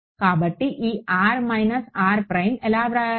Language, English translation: Telugu, So, this r minus r prime how do we write it